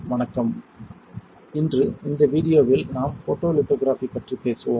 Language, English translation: Tamil, Hello today in this video we let us talk about Photolithography